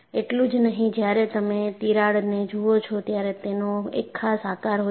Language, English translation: Gujarati, Not only this, when you look at the crack, it also has a particular shape